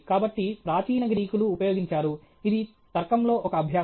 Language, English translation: Telugu, So, used by ancient Greeks; this is an exercise in logic okay